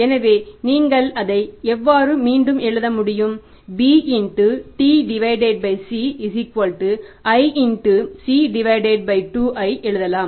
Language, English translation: Tamil, You can write it b is equal to t by c b b into t by c is equal to i into c by 2